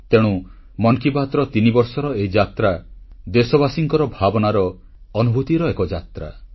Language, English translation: Odia, And, this is why the threeyear journey of Mann Ki Baat is in fact a journey of our countrymen, their emotions and their feelings